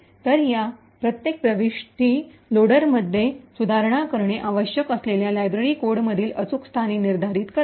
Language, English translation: Marathi, So, each of these entries determines the exact location in the library code the loader would need to modify